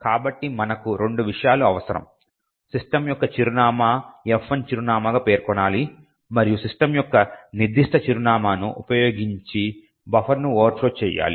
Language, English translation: Telugu, So, this means we require two things we need to specify the address for system as the F1 address and overflow the buffer using that particular address of system